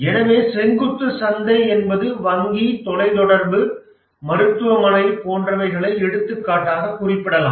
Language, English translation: Tamil, So this is for specific verticals like banking, telecom, hospital and so on